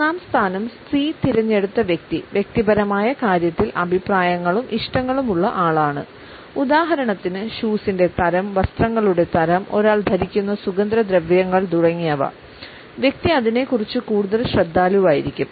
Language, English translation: Malayalam, The person who has opted for the third position C is rather picky and choosy in terms of personal choices; for example, the type of shoes, the type of clothes, the perfumes one wears etcetera the person would be rather choosy about it